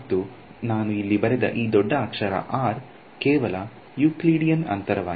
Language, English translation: Kannada, And, this capital R that I have written over here is simply the Euclidean distance